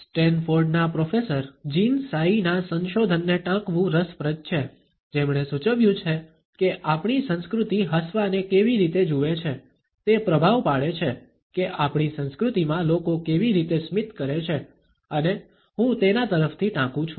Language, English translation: Gujarati, It is interesting to quote a research by Jeanne Tsai, a professor at Stanford who has suggested that how our culture views smiling, influences, how people in our culture is smile and I quote from her